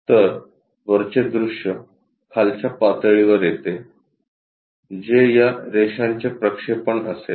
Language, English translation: Marathi, So, top view comes at bottom level that will be projection of these lines